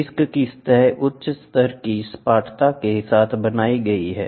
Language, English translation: Hindi, The surface of the disk is ground and lapped to a high degree of flatness